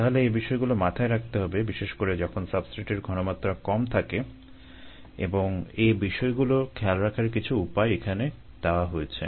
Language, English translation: Bengali, so that is taken into account, especially when the substrate concentrations are low, and ah, some base of taking them into account, have be given here